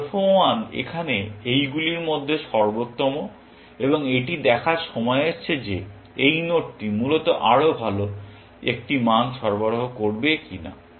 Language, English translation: Bengali, Alpha 1 is the best amongst these here, and it is time to see, if this node will supply it a better value, essentially